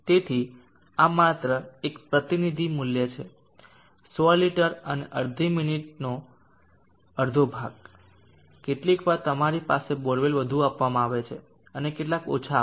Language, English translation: Gujarati, So therefore this is only a representative value 100liters and a half of minute, sometimes you have bore wells giving much more, and some will give less